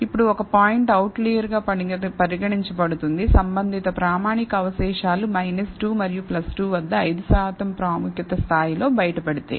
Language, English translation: Telugu, Now, a point is considered an outlier, if the corresponding standardized residual falls outside, minus 2 and plus 2 at 5 per cent significance level